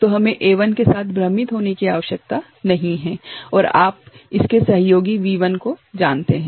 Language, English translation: Hindi, So, we need not get confused with A1 and you know this V1 their association